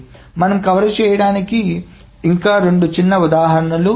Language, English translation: Telugu, We will have two more small things to cover